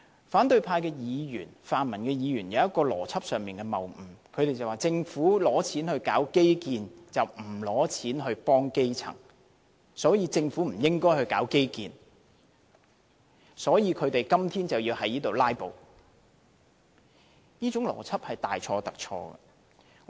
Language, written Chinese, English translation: Cantonese, 反對派議員、泛民議員有一個邏輯上的謬誤，他們說政府撥款進行基建，而不撥款幫助基層，所以政府不應進行基建，而他們要"拉布"反對預算案。, The opposition Members and the pro - democracy Members have based their arguments on a fallacy saying that the Governments funding is used for infrastructure development instead of assisting the grass roots . Therefore the Government should not develop infrastructure and they have to oppose the Budget by means of filibustering